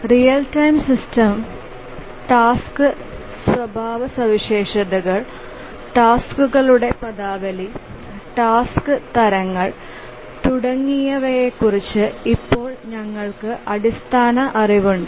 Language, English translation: Malayalam, Now that we have some basic knowledge on the real time systems, the task characteristics, terminologies of tasks, types of tasks and so on